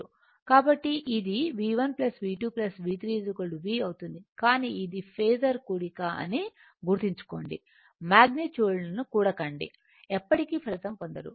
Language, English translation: Telugu, So, it will V1 plus V2 plus V3 is equal to V, but remember this is your phasor sum do not add the magnitude a magnitude one never you will get the result it is phasor sum right